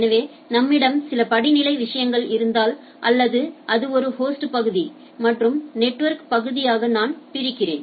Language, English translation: Tamil, So, if I if I have so have some hierarchal sort of things or I divide that it is a host portion and a sorry network portion and by a host portion right